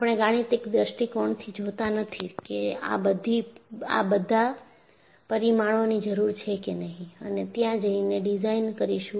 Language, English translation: Gujarati, We are not looking from a mathematical point of view that I need all these parameters, only then I will go and design